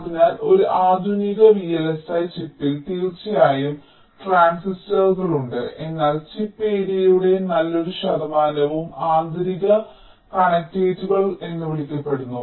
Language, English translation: Malayalam, so in a modern () chip, of course there are transistors, but, ah, a very good percentage of the chip area is dominated by the so called interconnects